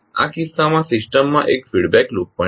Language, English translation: Gujarati, So in this case the system has one feedback loop also